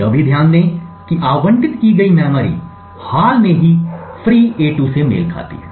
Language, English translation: Hindi, Also note that the memory that gets allocated corresponds to the recently freed a2